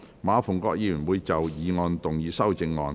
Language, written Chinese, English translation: Cantonese, 馬逢國議員會就議案動議修正案。, Mr MA Fung - kwok will move an amendment to the motion